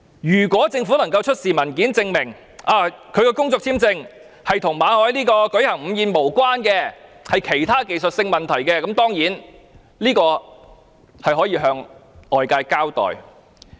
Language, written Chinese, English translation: Cantonese, 如果政府能夠出示文件，證明拒發馬凱工作簽證與他舉行午餐會無關，而是由於其他技術性問題，那當然可以向外界交代。, If the Government can produce documents to prove that refusal to renew MALLETs work visa has nothing to do his hosting the luncheon but is attributable to other technical issues it can surely give an open account